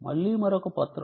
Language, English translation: Telugu, that again is another document